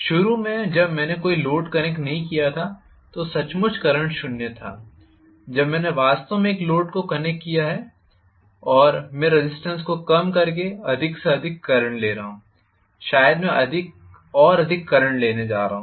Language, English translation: Hindi, Initially when I did not connect any load I was having literally 0 current, when I have actually connected a load and I am drawing more and more current by reducing the resistance probably I am going to have higher and higher current